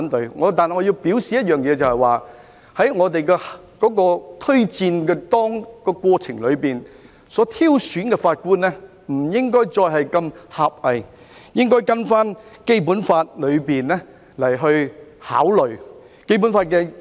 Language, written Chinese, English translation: Cantonese, 不過，我要表示一點，就是在推薦的過程中，挑選法官不應再如此狹隘，應該按照《基本法》考慮。, However I would like to make one point that is in the recommendation process judges should no longer be selected from a parochial perspective . Rather their selection should be considered in accordance with the Basic Law